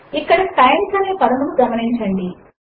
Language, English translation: Telugu, Notice the word times here